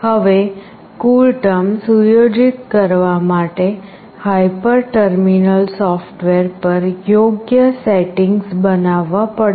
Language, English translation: Gujarati, Now, for setting the CoolTerm, proper settings have to be made on the hyper terminal software